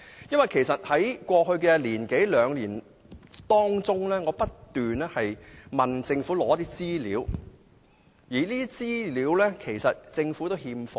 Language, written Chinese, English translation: Cantonese, 因為我在過去一兩年不斷向政府索取資料，但這些資料也是欠奉。, We have been asking the Government to provide information over the past one or two years but no information has ever been provided